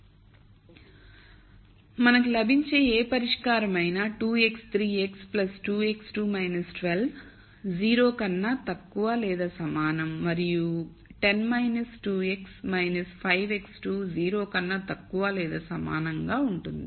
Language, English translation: Telugu, So, whatever solution we get should still be such that 2 x 3 x plus 2 x 2 minus 12 is less than equal to 0 and 10 minus 2 x minus 5 x 2 is less than equal to 0